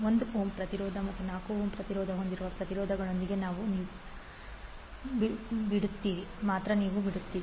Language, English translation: Kannada, You will left only with the resistances that is 1 ohm resistance and 4 ohm resistance